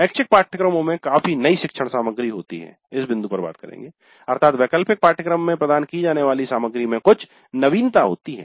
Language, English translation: Hindi, The elective course has substantially new learning material in the sense that the material provided in this elective course is something novel